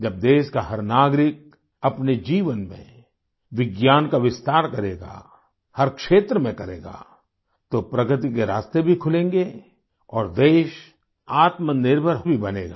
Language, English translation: Hindi, When every citizen of the country will spread the spirit of science in his life and in every field, avenues of progress will also open up and the country will become selfreliant too